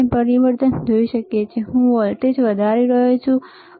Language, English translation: Gujarati, We can see the change; I am increasing the voltage, right